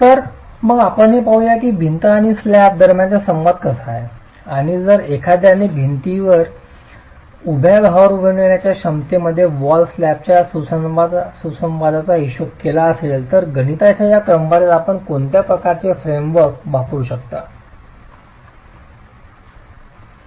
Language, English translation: Marathi, So, let's examine how the interaction between the wall and the slab is and if one way to be accounting for wall slab interactions in the vertical load carrying capacity of the wall, what sort of a framework could you use for this sort of this calculation itself